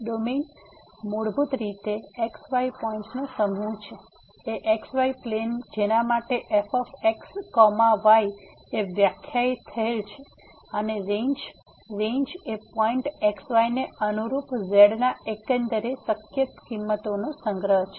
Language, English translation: Gujarati, Domain is basically the set of points the x y plane for which is defined and the Range, Range is the collection of overall possible values of corresponding to the point